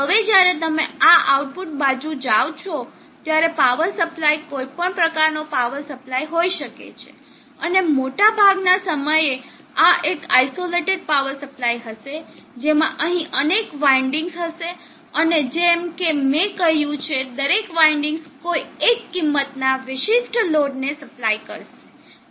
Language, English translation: Gujarati, Now when you take on this output side this power supply can be any type of power supply and most of the time this will be an isolated power supply which will have multiple windings here and each other winding has I said specific load that they need to supply for example the 3